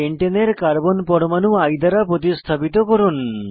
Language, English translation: Bengali, Replace the terminal Carbon atoms of Pentane with I